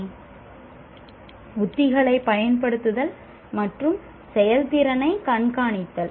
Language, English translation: Tamil, Applying strategies and monitoring performance